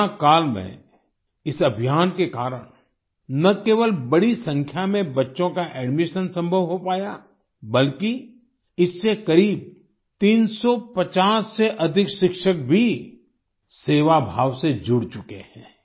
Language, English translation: Hindi, During the Corona period, due to this campaign, not only did the admission of a large number of children become possible, more than 350 teachers have also joined it with a spirit of service